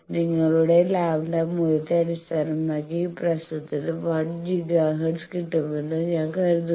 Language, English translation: Malayalam, So, based on your lambda value this problem I think get how much 1 Giga hertz